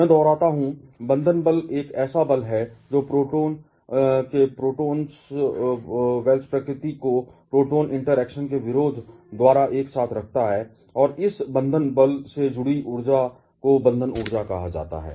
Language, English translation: Hindi, I repeat, binding force is a force which keeps the nucleons together by opposing the repulsive nature of the proton to proton interaction and the energy associated with this binding force is called the binding energy